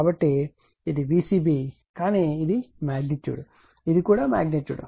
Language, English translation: Telugu, So, this is my V c b, but this is a magnitude this is also magnitude